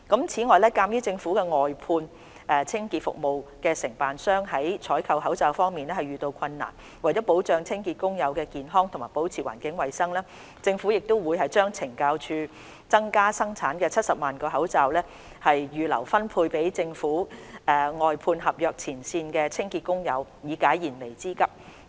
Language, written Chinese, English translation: Cantonese, 此外，鑒於政府外判合約清潔服務承辦商在採購口罩方面遇到困難，為保障清潔工友的健康及保持環境衞生，政府會將懲教署增加生產的70萬個口罩預留分配給政府外判合約前線清潔工友，以解燃眉之急。, Furthermore in view that the Governments outsourced cleansing service contractors have encountered difficulties in procuring masks to protect the health of cleansing workers and maintain environmental hygiene the Government will reserve the 700 000 additional masks produced by the Correctional Services Department CSD for distribution to the frontline cleansing workers employed by the Governments outsourced service contractors to meet their imminent needs